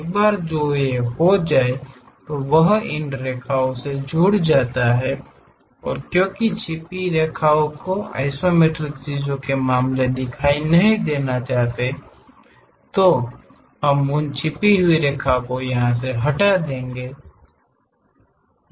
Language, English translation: Hindi, Once that is done draw join these lines because hidden line should not be visible in the case of isometric things, we remove those hidden lines